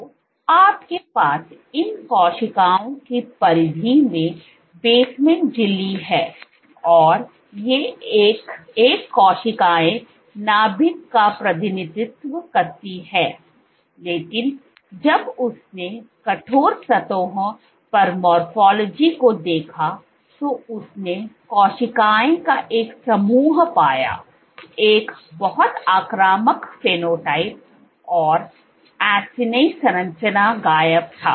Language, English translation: Hindi, So, you have basement membrane at the periphery of these cells and these cells each of these represents the nuclei, but when she looked at the morphology on the stiff surfaces, what she found was a group of cells a very invasive phenotype, the acini structure was gone